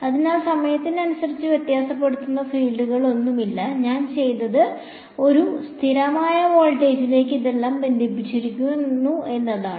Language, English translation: Malayalam, So, there are no fields that are varying in time and what I have done is I have connected this whole thing to a constant voltage